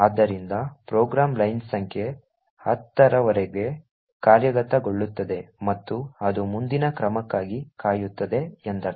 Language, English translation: Kannada, So this could mean that the program will execute until line number 10 and then it will wait for further action